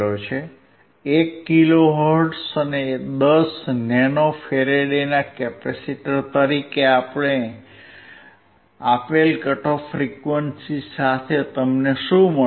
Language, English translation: Gujarati, With a cut off frequency given as 1 kilohertz and a capacitor of 10 nano farad what you will get